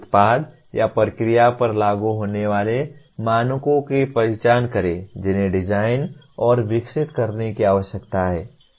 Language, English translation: Hindi, Identify the standards that are applicable to the product or process that needs to be designed and developed